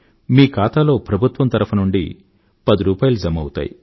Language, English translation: Telugu, Ten rupees will be credited to your account from the government